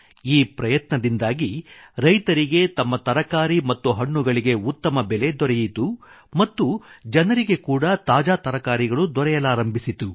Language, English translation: Kannada, Through this initiative, the farmers were ensured of a fair price for their produce and fresh vegetables were also available for the buyers